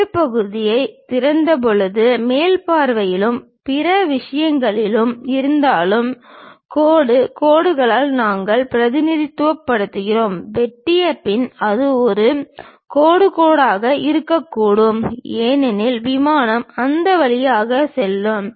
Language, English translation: Tamil, When you are seeing that though at top view and other things when we did open the cut section, we represent by dashed lines, but after cut it should not be a dashed line because plane is passing through that